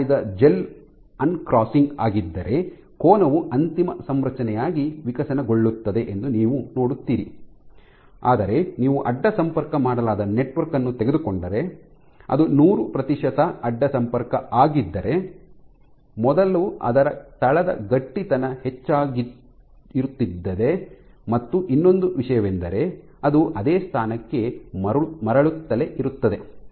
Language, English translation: Kannada, So, you will see that if it was an uncrossing gel that you made your angle evolves and then stays put as the final configuration, but if you take a network which was cross linked wanting to see that if it was 100 percent crosslinked, first it will even its basal stiffness will be increasing, the other thing is it will keep on returning to the same position